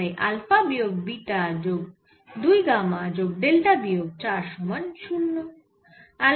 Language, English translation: Bengali, so alpha minus three, beta plus gamma plus delta minus four is equal to zero